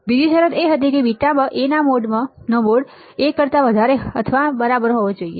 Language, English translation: Gujarati, The second condition was that the mode of mod of A into beta should be greater than or equal to 1